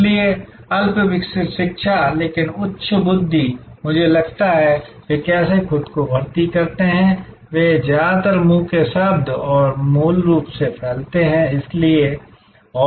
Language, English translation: Hindi, Therefore, rudimentary education, but high intelligence, I think that is how they kind of recruit themselves, they market mostly by word of mouth and by basically spreading out, so and referrals